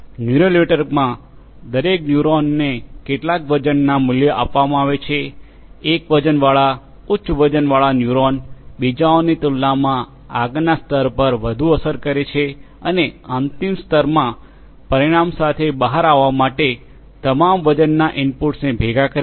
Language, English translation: Gujarati, In neural network, each neuron is assigned with some weighted value, a weighted, a high weighted neuron exerts more effect on the next layer than the others and the final layer combines all the weight inputs to emerge with a result